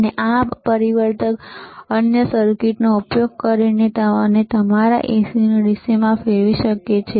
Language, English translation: Gujarati, And using this transformer and the another circuit, we can convert your AC to DC